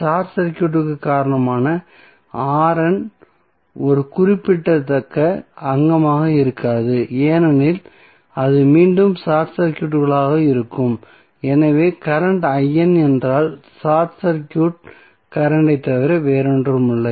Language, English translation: Tamil, Because of the short circuit the R N will not be a significant component because it will again be short circuited so if current I N would be nothing but the short circuit current